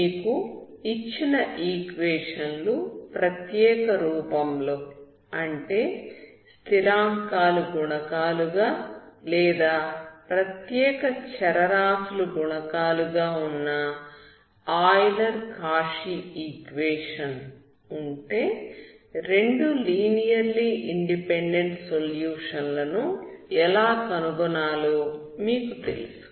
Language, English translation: Telugu, So if you are given one solution, so you know how to find other solution, if your equations are of special form like constant coefficients or special variable coefficients like Euler Cauchy equation, you know how to find two linearly independent solutions, okay